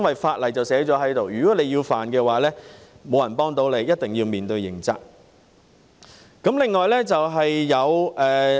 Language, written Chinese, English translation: Cantonese, 法例已經制定，如果有人犯法，沒人可以幫他，一定要面對刑責。, Upon the enactment of the legislation lawbreakers will have no one to turn to and must be held criminally liable